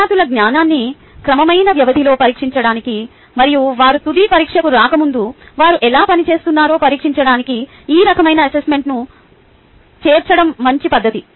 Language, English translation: Telugu, it is a good practice to incorporate this type of assessment to its their students knowledge, ah um, at regular interval and how they have been performing before they undergo the final examination